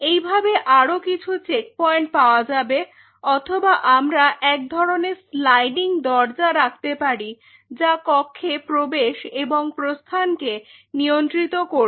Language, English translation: Bengali, So, that way that will prevent a further level of checkpoint or we could have kind of a sliding door out here which will ensure or restrict entry and the exit along this point